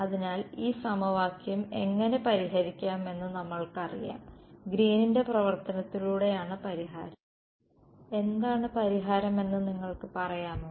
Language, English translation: Malayalam, So, we know how to solve this equation and the solution is by Green’s function can you tell me in words what is the solution